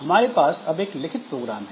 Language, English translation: Hindi, Now we have written a piece of program here